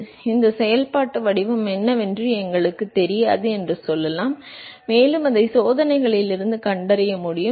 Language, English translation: Tamil, So, let us say we do not know what this functional form is, and can we detect it from the experiments